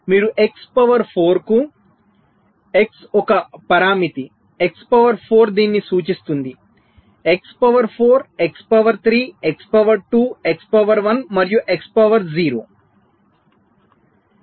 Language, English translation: Telugu, you see, x to the power four, x is a parameter, x to to the power four represents this: x to the power four, x to the power three, x to the power two, x to the power one and x to the power zero